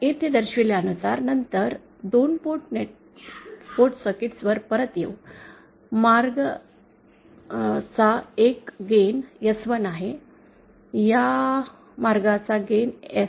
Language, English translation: Marathi, Now then coming back to over 2 port circuit as shown here, the path 1 gain is simply S1, the gain of this path, S1